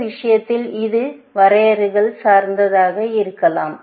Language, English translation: Tamil, In this case, it could be context dependent